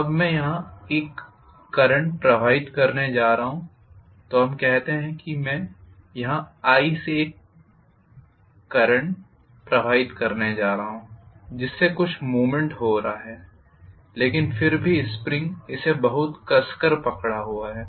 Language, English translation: Hindi, Now I am going to pass a current here, so let us say I am going to pass a current here from i because of which some movement is taking place but still the spring is holding it pretty tightly